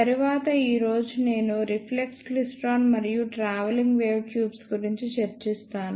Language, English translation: Telugu, Today, I will discuss reflex klystron and travelling wave tubes